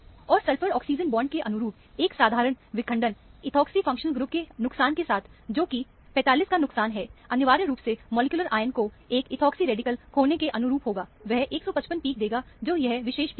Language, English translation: Hindi, And, a simple fragmentation corresponding to the sulphur oxygen bond here, with the loss of ethoxy functional group, which is the loss of 45, would essentially correspond to molecular ion losing a ethoxy radical, to give 155 peak, which is this particular peak